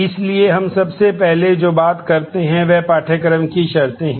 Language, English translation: Hindi, So, what we first I talk about are the course prerequisites